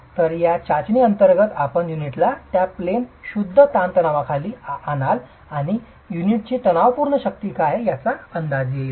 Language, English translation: Marathi, So, under this test you will have the unit subjected to pure tension in that plane and will give you an estimate of what the tensile strength of the unit is